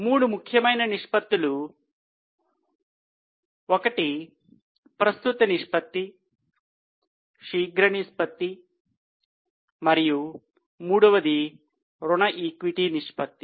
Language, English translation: Telugu, One was current ratio, quick ratio and the third one was debt equity ratio